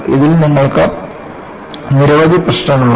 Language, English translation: Malayalam, In this, you have several issues